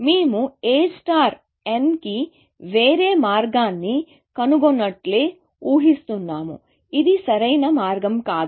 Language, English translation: Telugu, We are assuming A star has found some other path to n, which is not the optimal path